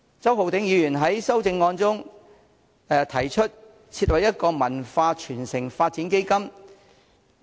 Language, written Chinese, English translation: Cantonese, 周浩鼎議員在修正案中提出設立一項"文化傳承發展基金"。, Mr Holden CHOW in his amendment proposes establishing a cultural transmission and development fund